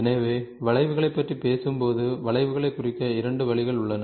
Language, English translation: Tamil, So, when we talk about curves there are two ways of representing the curves